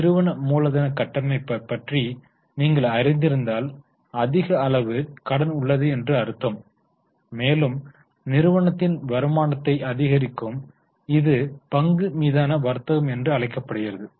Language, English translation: Tamil, If you in your capital structure there is a higher quantum of debt, the return tends to increase which is known as trading on equity